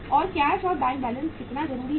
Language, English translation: Hindi, And how much is the cash and bank balances required